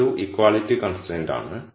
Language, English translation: Malayalam, So, this is an equality constraint